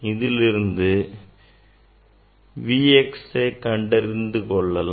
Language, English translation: Tamil, that V x we have to find out